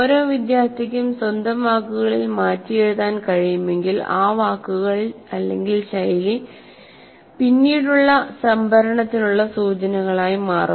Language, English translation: Malayalam, Each one is able to rewrite in their own words, those words or phrases will become cues for later storage